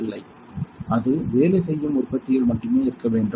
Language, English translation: Tamil, No, it should be in working production only